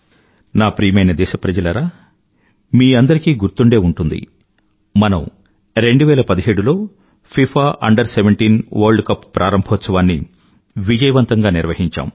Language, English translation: Telugu, My dear countrymen, you may recall that we had successfully organized FIFA Under 17 World Cup in the year2017